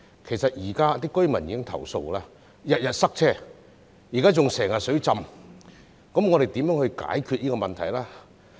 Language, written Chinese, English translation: Cantonese, 其實，現時當區居民已不斷投訴經常塞車，最近還經常水浸，我們如何解決這個問題呢？, In fact the residents in the district have been complaining about frequent traffic congestion and there have recently been frequent flooding . How can we solve this problem?